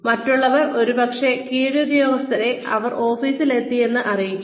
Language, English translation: Malayalam, Others will probably, let the subordinates, know that, they have arrived in the office